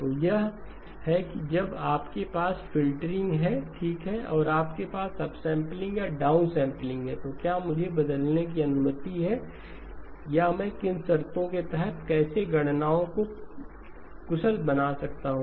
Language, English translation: Hindi, So that is when you have filtering okay and you have either upsampling or downsampling, am I permitted to change, or under what conditions can I, how do I make the computations efficient